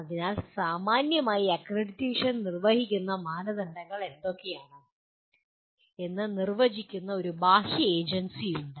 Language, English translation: Malayalam, So, broadly there is an external agency which defines what is the, what are the criteria according to which the accreditation is performed